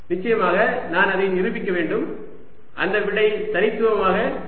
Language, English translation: Tamil, off course, i have to prove that that answer is going to be unique